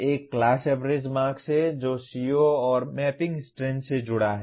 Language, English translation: Hindi, One is the class average marks associated with a CO and the strength of mapping